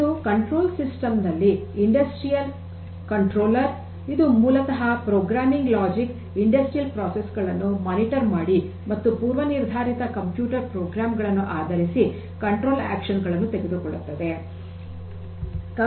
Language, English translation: Kannada, So, it is the industrial controller in control system and this is based on the programming logic of monitoring the monitoring the industrial processes and taking control actions based on certain predefined computer program ok